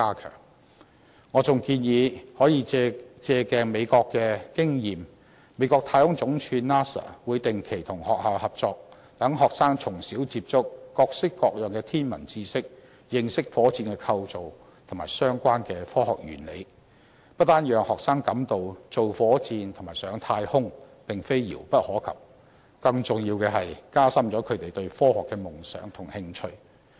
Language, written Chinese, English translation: Cantonese, 此外，我還建議可以借鏡美國的經驗。美國太空總署會定期與學校合作，讓學生從小接觸各式各樣的天文知識，認識火箭構造及相關的科學原理，不單讓學生感到造火箭和上太空並非遙不可及，更加重要的是，加深他們對科學的夢想和興趣。, Moreover I suggest the Government learn from the experience of the United States where the National Aeronautics and Space Administration works with schools regularly and lets young students get in touch with a variety of knowledge in astronomy learn the structure and scientific principles of a rocket from a tender age so that students will not find rocket building and space travelling remote and more importantly have their dreams and interest in science deepened